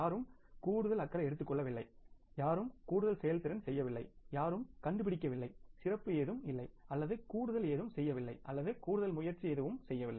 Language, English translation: Tamil, Nobody has taken extra care, nobody has performed extra, nobody has found out anything special or done something extra or made any extra efforts